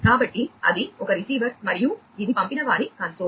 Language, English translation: Telugu, So, that was the receiver one and this is the sender console